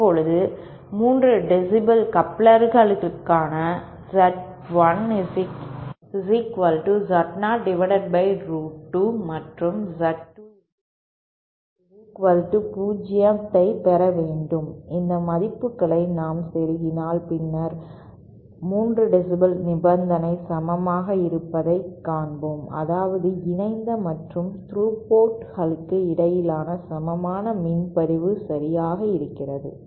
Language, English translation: Tamil, Now, for a 3 dB couplers, we should get Z1 equal to Z0 upon square root of root 2 and Z2 equal to Z0 if we plug in these values then we will see that the 3 dB condition that is equal power division between the coupled and through ports is satisfied